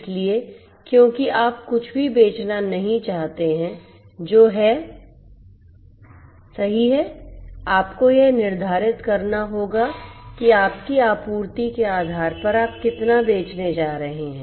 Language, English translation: Hindi, So, because you do not want to you know sell anything that is out there right, you need to determine that based on your supply how much you are going to sell; how much you are going to sell